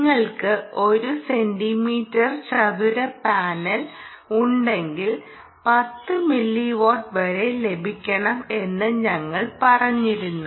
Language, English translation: Malayalam, we said that if you have one centimeter square panel, you should get ah, ten milliwatts